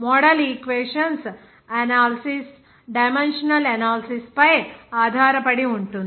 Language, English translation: Telugu, And also for the analysis of model equations are based on the dimensional analysis